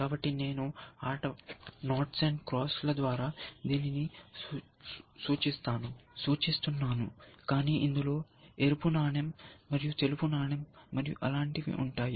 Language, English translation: Telugu, So, which let me say, I am representing by knots and crosses like that game, but it practices like, red coin and white coin, and things like that